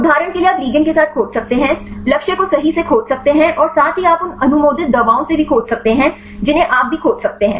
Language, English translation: Hindi, For example you can search with the ligand, search with the target right and also you can search with the drugs approved drugs that also you can search